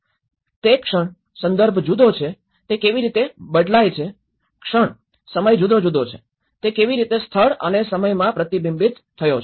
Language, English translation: Gujarati, The moment, the context is different how it is changed, the moment, the time varied, how it has reflected in space and time